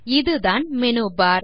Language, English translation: Tamil, This is the Menubar